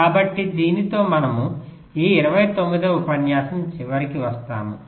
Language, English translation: Telugu, so with this we come to the end of ah, this lecture number twenty nine